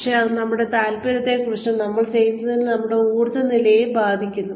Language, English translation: Malayalam, But, it does affect our interest in, and our energy levels with whatever we are doing